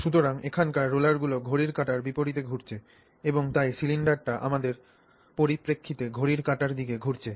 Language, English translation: Bengali, So, the rollers here are rotating counterclockwise and therefore the cylinder is rotating clockwise with respect to us